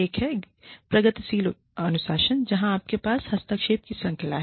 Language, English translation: Hindi, One is, the progressive discipline, where you have a, series of interventions